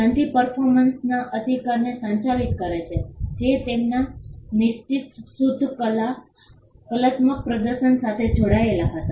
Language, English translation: Gujarati, The treaty governs the right of performers which were connected to their fixed purely aural performances